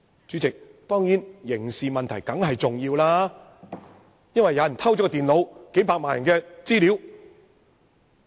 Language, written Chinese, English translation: Cantonese, 主席，當中的刑事問題當然重要，因為有人偷取電腦，涉及數百萬人的資料。, President the criminal issues of the incident are of course important because the computers were stolen and the personal data of millions of electors are involved